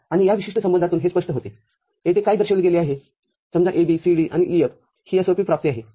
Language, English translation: Marathi, And this is evident from this particular relationship what has been shown here for say, AB, CD and EF this is a SOP realization